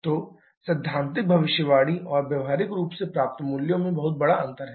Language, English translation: Hindi, So, there is a huge difference in the theoretical prediction and practically obtained values